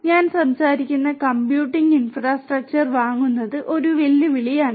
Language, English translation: Malayalam, So, buying the computing infrastructure I am talking about right so that is a challenge